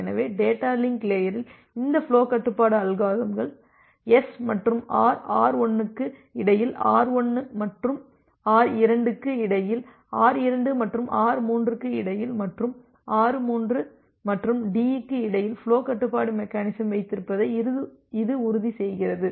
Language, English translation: Tamil, So, these flow control algorithm at the data link layer, it ensures that you have flow control mechanism between S and R R1 between R1 and R2 between R2 and R3 and between R3 and the D